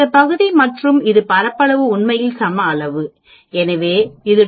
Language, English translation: Tamil, This area and this area are equal amount actually, so it is 2